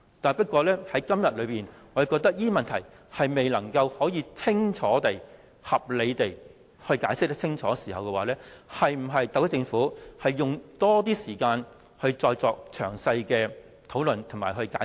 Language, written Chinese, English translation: Cantonese, 不過，我認為特區政府既然未能合理地解釋清楚這些問題，是否應該用更多時間作詳細討論和解釋？, However since the HKSAR Government cannot give clear and reasonable answers to these questions should it spend more time discussing and explaining those questions more thoroughly?